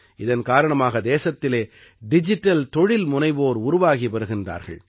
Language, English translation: Tamil, For this reason, new digital entrepreneurs are rising in the country